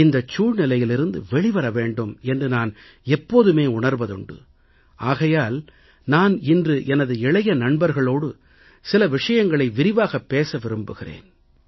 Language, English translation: Tamil, And I have always felt that we should come out of this situation and, therefore, today I want to talk in some detail with my young friends